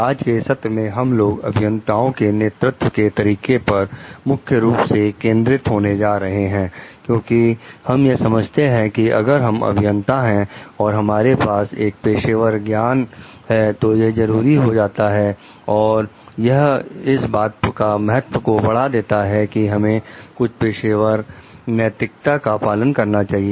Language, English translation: Hindi, In today s session, we are going mainly to focus on the Leadership Styles of the Engineers, because we understand as like if we are engineers, a professional knowledge is a must and it gives us a values also to follow some professional ethics